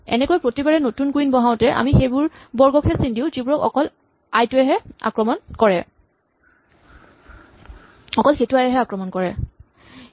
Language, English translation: Assamese, So, in this way with each new queen i that we put we only mark the squares which are attacked by queen i